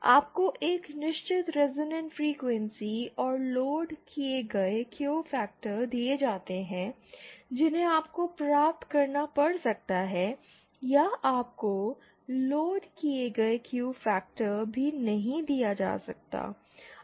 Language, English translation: Hindi, You are given a certain resonant frequency and the loaded Q factor that you might you have to achieve or you might not even be given the loaded Q factor